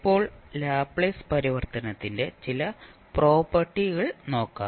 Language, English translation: Malayalam, Now, let's see few of the properties of Laplace transform